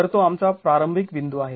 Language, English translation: Marathi, So that is our starting point